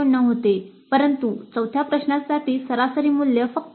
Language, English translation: Marathi, 9 but for fourth question the average value is only 2